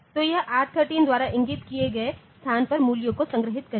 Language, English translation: Hindi, So, it will be storing the values on to the location pointed to by R13